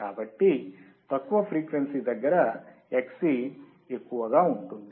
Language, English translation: Telugu, So, at low frequency is where Xc would be high